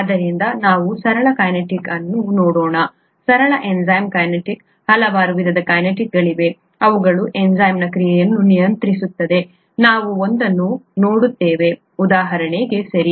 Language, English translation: Kannada, So let us look at a simple kinetics, simple enzyme kinetics, there are very many different kinds of kinetics, which are, which govern enzyme action; we will just look at one, for example, okay